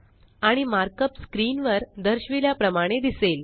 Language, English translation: Marathi, And the mark up looks like as shown on the screen